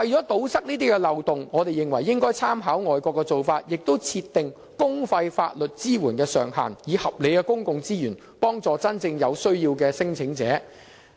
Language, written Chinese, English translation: Cantonese, 為堵塞這些漏洞，我們認為應參考外國的做法，設定公費法律支援的上限，以合理的公共資源幫助真正有需要的聲請人。, To plug the loopholes we consider that we should draw reference from overseas practices and cap a limit on publicly - funded legal assistance while deploying reasonable public resources to help those claimants truly in need